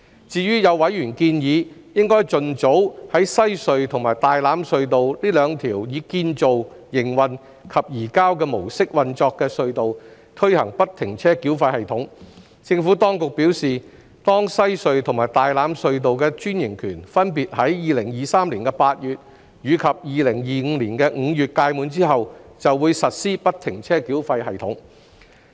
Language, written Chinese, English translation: Cantonese, 至於有委員建議，應盡早在西區海底隧道和大欖隧道這兩條以"建造─營運─移交"模式運作的隧道推行不停車繳費系統，政府當局表示，當西隧和大欖隧道的專營權分別於2023年8月及2025年5月屆滿後，就會實施不停車繳費系統。, Regarding the proposal by some members that there should be early implementation of FFTS at Western Harbour Crossing WHC and Tai Lam Tunnel TLT the two Build - Operate - Transfer BOT tunnels the Administration has advised that FFTS will be implemented at WHC and TLT upon expiry of their BOT franchises in August 2023 and May 2025 respectively